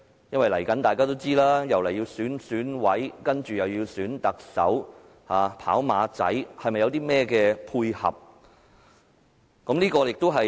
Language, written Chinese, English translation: Cantonese, 因為大家也知道，未來又要選舉選委，接着是選特首，"跑馬仔"，是否要配合甚麼目的？, As we all know that the Election Committee Subsector Elections are approaching followed by the Chief Executive election and the competitions among possible candidates